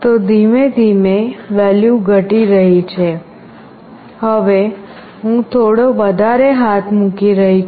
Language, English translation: Gujarati, So, slowly the value is getting decreased, now I am putting little more hand